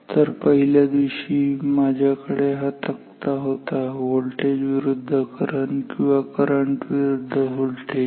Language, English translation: Marathi, So, in day 1 I had this table voltage versus current voltage or current versus voltage maybe